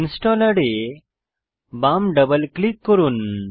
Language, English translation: Bengali, Left Double click the installer